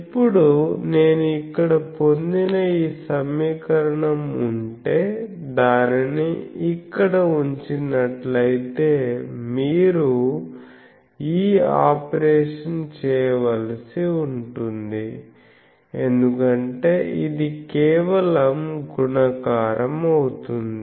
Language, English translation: Telugu, Now, if this equation what I obtained here, this if we put here, if you do it; just you will have to do this operation because this will be simply multiplication, you do this operation